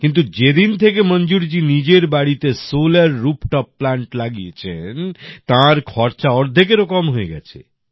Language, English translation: Bengali, 4 thousand, but, since Manzoorji has got a Solar Rooftop Plant installed at his house, his expenditure has come down to less than half